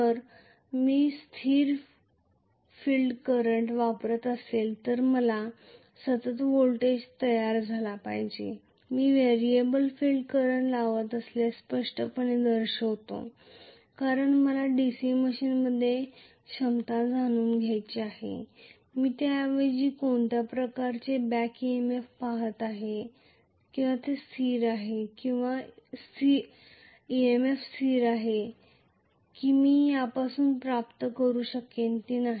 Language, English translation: Marathi, If I am applying constant field current I should have the constant voltage being generated, I am showing very clearly if I am putting variable field current because I want to know the capability of my DC machine, I am rather looking at what kind of back EMF constant it has, or EMF constant it has, that I will be able to get from this is not it